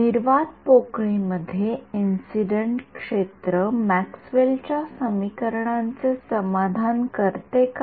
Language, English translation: Marathi, In vacuum does the incident field satisfy Maxwell’s equations